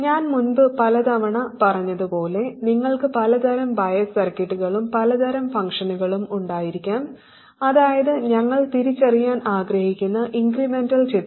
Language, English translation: Malayalam, Like I have said many times before you can have many different kinds of bias circuits and many different kinds of functions, that is the incremental picture that we want to realize